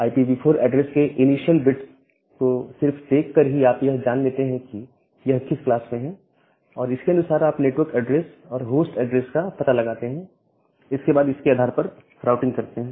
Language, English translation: Hindi, So, just by looking into the initial bits of IPv4 address, you can find out in which class it belongs to and accordingly you can find out the network address and the host address and then can do the route based on that